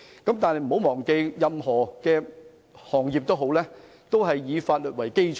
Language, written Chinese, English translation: Cantonese, 大家不要忘記，任何行業均以法律為基礎。, We should never forget that law is the basis of all industries